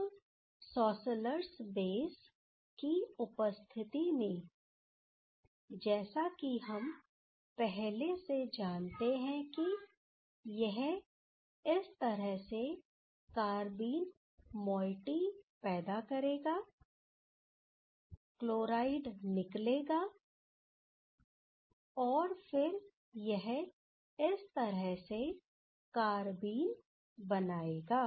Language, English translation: Hindi, Now, in presence of schlossers one of the schlossers base, we know previously that it will generate the carbene moiety through this way, and then the chloride liberation, and then this will give the corresponding carbene